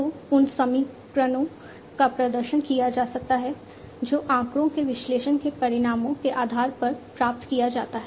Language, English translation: Hindi, So, those equations can be performed, based on the results of analysis of the data that is obtained